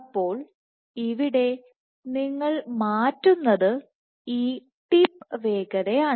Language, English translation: Malayalam, So, you have what you are changing is this tip speed